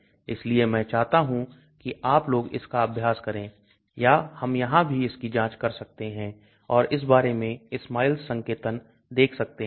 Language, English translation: Hindi, So I want you guys to practice it or we can even check it out here and look at the SMILES notation of this